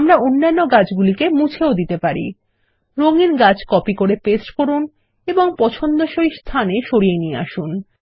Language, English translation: Bengali, We can also delete the other trees, copy paste the colored tree and move it to the desired location